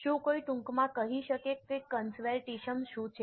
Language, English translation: Gujarati, Can somebody tell what is conservatism very briefly